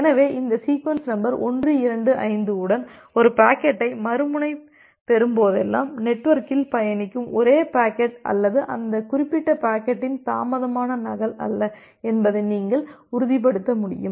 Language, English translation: Tamil, So, so that way you will be able to ensure that whenever the other end will receive a packet with this sequence number 125, that is the only packet that is traversing in the network or not a delayed duplicate of that particular packet